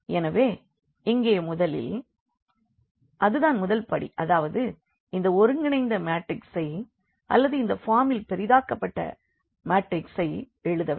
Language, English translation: Tamil, So, here we have first that will be the first step that we have to write this combined matrix or so called the augmented matrix in this form